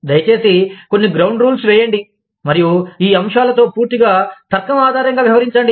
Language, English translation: Telugu, Please, lay down, some ground rules, and deal with these topics, purely on the basis of, logic